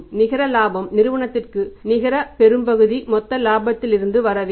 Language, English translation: Tamil, Larger chunk of the net profit must be coming from the gross profit